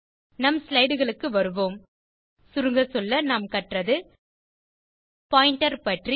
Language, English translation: Tamil, Come back to our slide Let us summarize In this tutorial, we learnt About the pointer